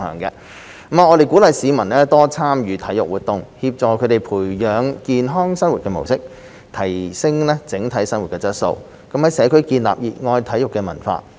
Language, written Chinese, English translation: Cantonese, 我們鼓勵市民多參與體育活動，協助他們培養健康生活模式，提升整體生活質素，在社區建立熱愛體育的文化。, We encourage wider public participation in sports so as to help citizens develop a healthy lifestyle enhance their overall quality of life and foster a strong sports culture in the community